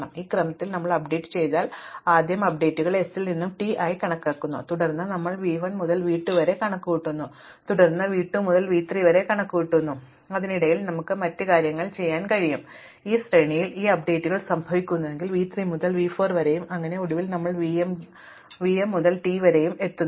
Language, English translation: Malayalam, Now, if we do the updates in this order that is we first compute the update from s to v 1 then we compute v 1 to v 2, then we compute v 2 to v 3 in between we can do a other things, it is only that these updates happen in this sequence then v 3 to v 4 and so on and finally, we do v m to t